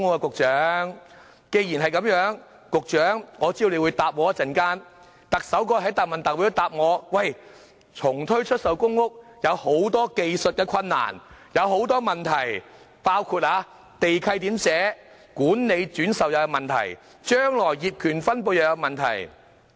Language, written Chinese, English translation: Cantonese, 我知道局長稍後會回應，而特首在答問會上亦答覆我，說重推出售公屋有很多技術困難和問題，包括地契內容、管理轉售問題和將來的業權分配問題。, I know the Secretary will give a response later on and the Chief Executive said in the Question and Answer Session that there were many technical difficulties in reintroducing TPS such as the content of the land lease management of resale and future ownership shares